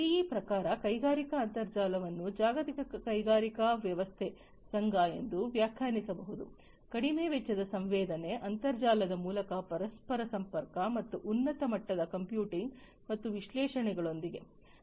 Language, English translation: Kannada, So, according to GE industrial internet can be defined as the association of the global industrial system, with low cost sensing interconnectivity through internet and high level computing and analytics